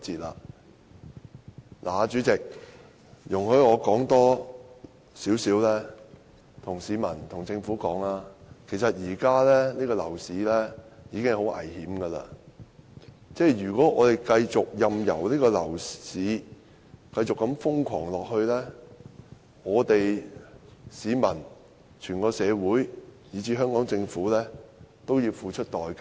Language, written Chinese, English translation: Cantonese, 代理主席，容許我對市民及政府說多一點，現時的樓市已經很危險，如果我們繼續任由樓市瘋狂下去，市民、整個社會以至香港政府都要付出代價。, Deputy Chairman allow me to say more words to members of the public and the Government . The property market is already very precarious . If we continue to let the property market run amok members of the public society at large and even the Hong Kong Government have to pay a price